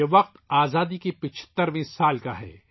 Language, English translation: Urdu, This is the time of the 75th year of our Independence